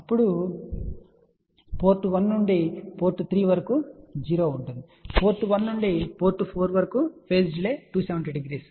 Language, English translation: Telugu, Then from port 1 to port 3 there is a 0; then from port 1 to port 4 the phase delay is minus 270 degree ok